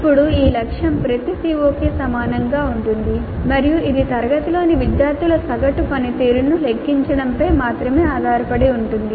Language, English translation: Telugu, Now this target is same for every CO and it depends only on computing the average performance of the students in the class